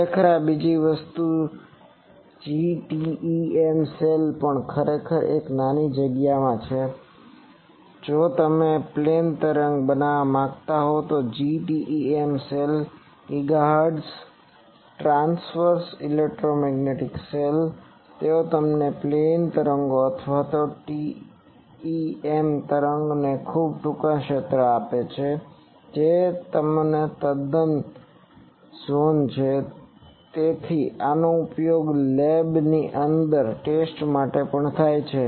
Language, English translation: Gujarati, Actually this is also another thing GTEM cell actually in a small space, if you want to create a plane wave that GTEM cell GHz transverse electromagnetic cell they also give you plane waves or TEM waves in a very short zone that is their quite zone, so this is also used for testing inside lab